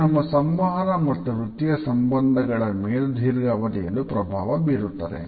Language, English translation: Kannada, It also affects our communication and professional relationships too in the long run